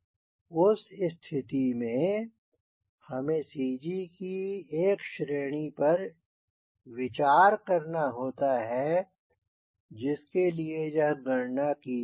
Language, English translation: Hindi, so you have to consider a range of cg for which you have to do this calculation